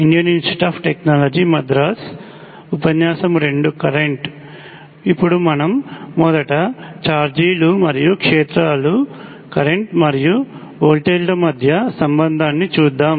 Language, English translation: Telugu, Now have to do this first let us look at the relationship between charges and fields, and currents and voltages